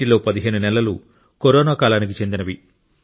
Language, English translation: Telugu, Of these, 15 months were of the Corona period